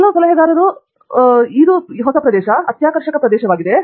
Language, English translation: Kannada, Some advisors, would say, you know, go read, this is a new area, exciting area